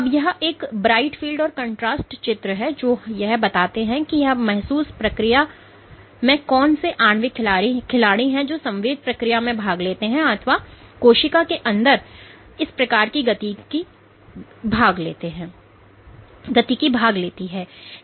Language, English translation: Hindi, Now this is a bright field or a phase contrast image how do we know what is what are the molecular players that participate in this sensing process or what are any kind of dynamics within the cell